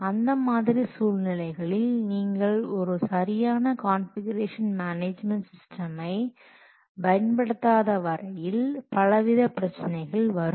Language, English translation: Tamil, We will see what problems can appear if you will not use a proper configuration management system